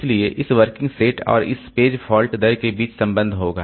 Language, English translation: Hindi, So, there will be relationship between this working set and this page fault rate